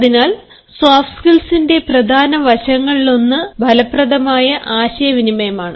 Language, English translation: Malayalam, so one of the key aspects of soft skills is effective communication